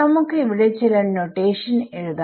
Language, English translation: Malayalam, So, let us just write down some notation over here